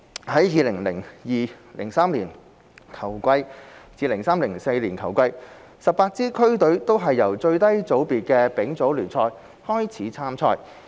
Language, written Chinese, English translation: Cantonese, 在 2002-2003 球季至 2003-2004 球季 ，18 支區隊都是由最低組別的丙組聯賽開始參賽。, In the 2002 - 2003 and 2003 - 2004 football seasons all 18 district teams started from the lowest level ie . the Third Division League